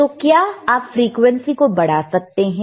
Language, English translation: Hindi, So, can you increase the frequency please, all right